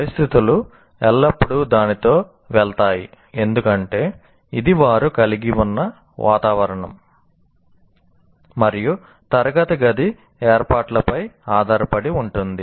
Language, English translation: Telugu, Conditions will always go with that because it depends on the kind of environment that you have, right classroom arrangements that you have and so on